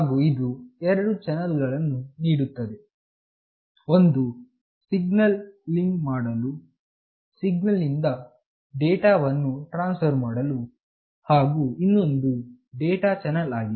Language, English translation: Kannada, And it provides two channels, one for signaling for transfer of signaling data, and other for data channel